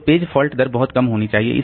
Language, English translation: Hindi, So, page fault rate should be very, very low